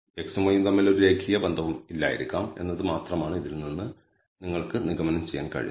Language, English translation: Malayalam, All you can conclude from this is perhaps there is no linear relationship between x and y